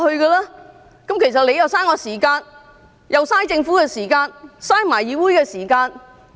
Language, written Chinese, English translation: Cantonese, 這樣其實是浪費我的時間、浪費政府時間，亦浪費議會時間。, This is indeed a waste of my time the Governments time and the Councils time